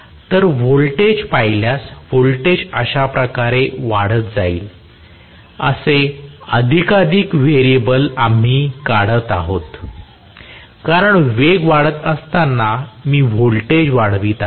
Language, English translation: Marathi, So, multiple variable we are drawing if I look at the voltage the voltage will rise like this, because as the speed rises I am going to increase the voltage